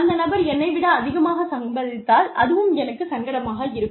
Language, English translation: Tamil, If this person earns lesser than me, then I will feel uncomfortable